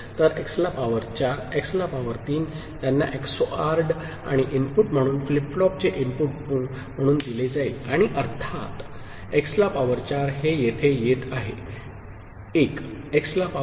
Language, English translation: Marathi, So, x to the power 4 and x to the power 3, they are XORred and fed as input to the flip flop over here and of course, x to the power 4, this is coming over here as 1, x to the power 0